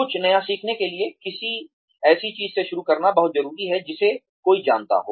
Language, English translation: Hindi, In order to learn something new, it is very important to start with something that one knows